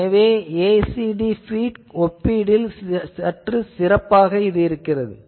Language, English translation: Tamil, So, the ACD feed that is better compared to a slightly better